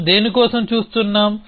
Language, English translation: Telugu, What are we looking for